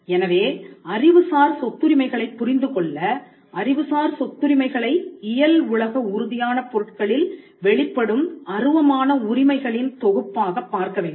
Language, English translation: Tamil, So, to understand into intellectual property rights, we will have to look at intellectual property rights as a set of intangible rights which manifest on real world physical tangible goods